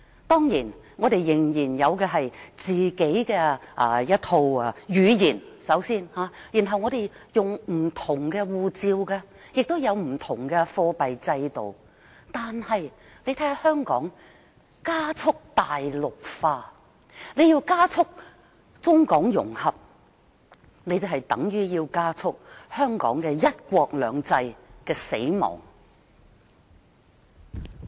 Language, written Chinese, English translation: Cantonese, 雖然我們仍然有自己的語言、使用不同的護照、採用不同的貨幣制度，但香港正加速"大陸化"，而加速中港融合便等同加速香港"一國兩制"的死亡。, Although we are still using our own language and a different passport and adopting a different monetary system Hong Kong has been quickly Mainlandized . Quicker integration between China and Hong Kong means quicker death to Hong Kongs one country two systems . Infrastructures costing hundred billion dollars are all northward - related